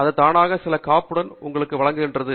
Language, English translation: Tamil, It also provides automatically provides you with some insulation